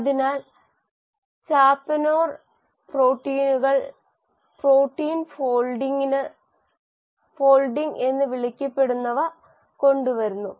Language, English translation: Malayalam, So, chaperone proteins bring about what is called as protein folding